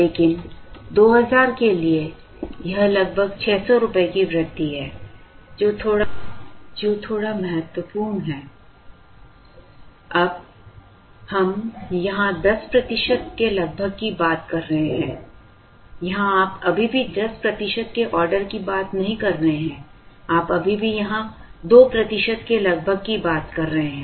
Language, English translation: Hindi, But, for 2000, it shows about 600 rupees increase, which is a little significant, we are now talking of the order of 10 percent here, here you are still not talking of the order of 10 percent, you are still talking of the order of 2 percent here